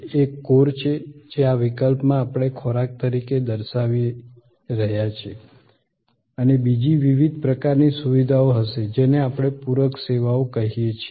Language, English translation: Gujarati, One is the core, which in this case we are showing as food and the other will be different kinds of what we call supplementary services